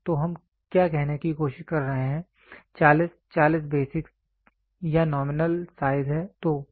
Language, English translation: Hindi, So, what are we trying to say 40, 40 is the basic size basic or the nominal size